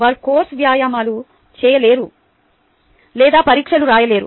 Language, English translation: Telugu, they are unable to do course exercises or even write exams